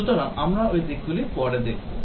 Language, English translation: Bengali, So, we will look at those aspects later